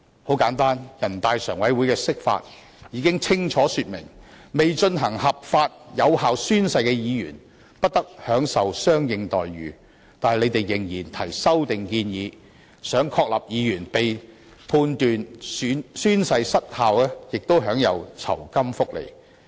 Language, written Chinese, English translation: Cantonese, 很簡單，全國人民代表大會常務委員會的釋法已經清楚說明，未進行合法有效宣誓的議員不得享受相應待遇，但他們仍然提出修訂建議，想確立議員被判宣誓失效亦應享有酬金福利。, The Standing Committee of the National Peoples Congress had handed down a Basic Law interpretation stating clearly that no corresponding entitlements shall be enjoyed by a Member who fails to lawfully and validly take the oath but they still proposed an amendment to the effect that a Member whose oath is invalidated shall still be entitled to remuneration and benefits